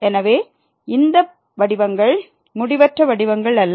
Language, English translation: Tamil, So, these forms are not indeterminate forms